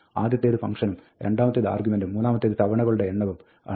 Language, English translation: Malayalam, The first is the function, the second is the argument, and the third is the number of times, the repetitions